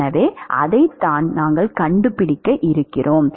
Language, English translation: Tamil, So, that is what we are going to find out